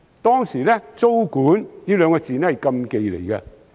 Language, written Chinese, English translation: Cantonese, 當時，"租管"二字是禁忌。, At that time tenancy control was a taboo subject